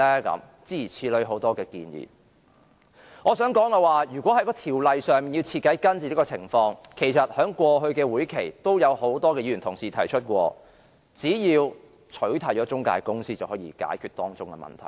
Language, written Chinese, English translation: Cantonese, 我想說的是，如果要在條例上徹底根治這種情況，其實在過去的會議上也有多位議員曾提出，只要取締中介公司便可解決當中的問題。, What I wish to say is in order to weed out these cases radically actually a number of Members already proposed in past meetings that the problem could be resolved simply by eliminating the intermediaries